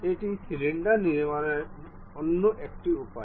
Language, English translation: Bengali, This is another way of constructing cylinder